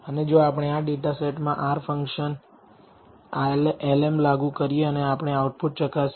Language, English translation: Gujarati, And if we apply the R function lm to this data set and we examine the output